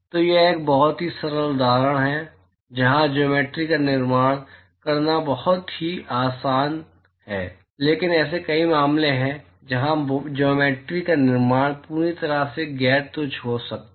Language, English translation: Hindi, So, this is a very simple example where constructing the geometry is very easy, but there are many many cases, where constructing the geometry can be completely non trivial